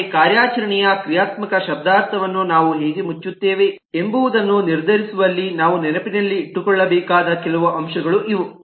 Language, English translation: Kannada, but these are some of the factors that we will need to keep in mind in deciding how we close on the functional semantics of an operation